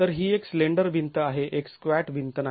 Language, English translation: Marathi, So, it is a slender wall not a squat wall